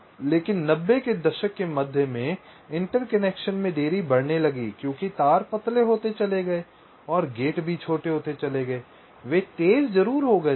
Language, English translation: Hindi, but in the mid nineties the interconnection delays, well, they started to go up because the wires become thinner and also the gates become smaller, they become faster